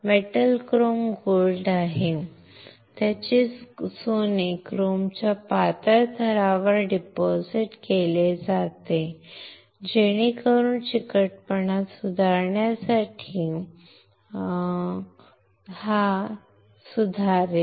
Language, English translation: Marathi, Metal is chrome gold, its gold right deposited on thin layer of chrome to improve the adhesion to improve this stickiness